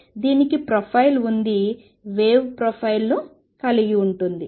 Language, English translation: Telugu, So, it has a profile the wave has the profile